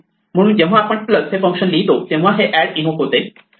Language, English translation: Marathi, So, when we write plus the function add is invoked